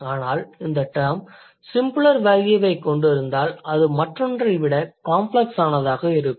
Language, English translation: Tamil, If the term has simpler value, it will be less complex than the other one